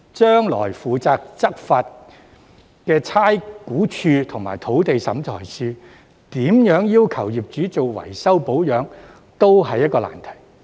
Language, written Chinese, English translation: Cantonese, 將來負責執行的差餉物業估價署及土地審裁處怎樣要求業主進行維修保養，亦是一個難題。, In the future the law enforcement agencies namely the Rating and Valuation Department RVD and the Lands Tribunal will also face a difficult task of asking landlords to undertake repairs and maintenance